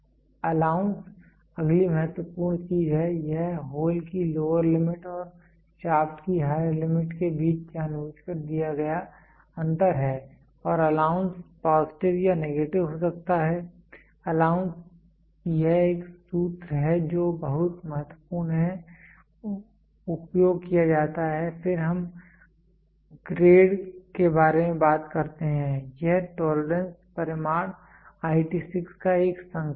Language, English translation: Hindi, Allowance is the next important thing it is the intentional difference between lower limit of hole and higher limit of shaft and allowance can be either positive or negative, the allowance this is a formula which is used very important then we talk about grade it is an indication of the tolerance magnitude IT 6